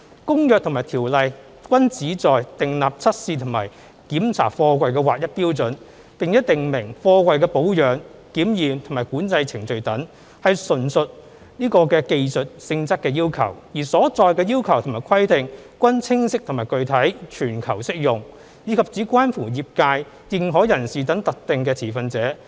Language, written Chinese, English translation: Cantonese, 《公約》和《條例》均旨在訂立測試和檢查貨櫃的劃一標準，並訂明貨櫃的保養、檢驗和管制程序等，純屬技術性質要求，而所載的要求和規定均清晰和具體，全球適用，以及只關乎業界、認可人士等特定的持份者。, The Convention and the Ordinance seek to standardize the requirements for testing and inspecting containers and to prescribe the procedures of their maintenance examination and control . All the requirements and regulations are technical in nature; they are clear and specific widely applicable to contracting parties internationally and of interest to specific stakeholders only such as the freight container transport trade and authorized persons